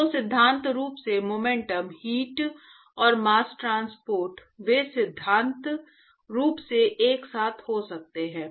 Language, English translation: Hindi, So in principle, the momentum heat and mass transport, they can in principle occur simultaneously